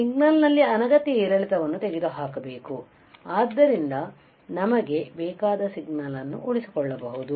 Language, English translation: Kannada, We have to remove the unwanted fluctuation in the signal, so that we can retain the wanted signal